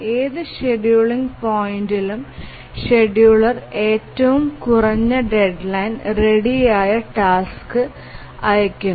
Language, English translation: Malayalam, At any scheduling point, the scheduler dispatches the shortest deadline ready task